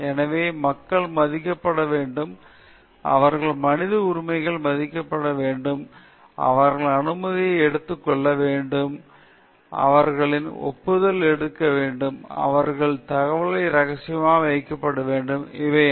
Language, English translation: Tamil, So, people have to be respected, their human rights have to be respected, their permission has to be taken, their consent has to be taken, their information have to be kept confidential all these things are highlighted